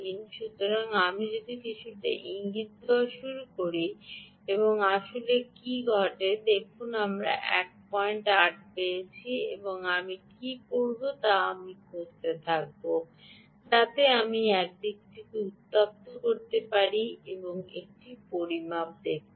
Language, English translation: Bengali, so, ah, if i start hinting a little bit and see what actually happens, ok, see, i get one point eight and what i will do is i will continue to rub so that i heat this side and let see another measurement